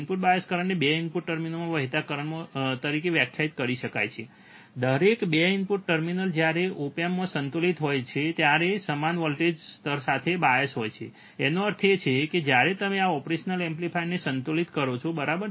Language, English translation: Gujarati, Input bias current can be defined as the current flowing into each of the 2 input terminals, each of the 2 input terminals, when they are biased to the same voltage level when the op amp is balanced; that means, that when you balance your operational amplifier, right